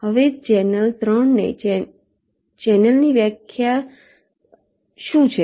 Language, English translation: Gujarati, now, in channel three, what is a definition of a channel